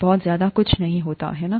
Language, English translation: Hindi, Pretty much nothing, right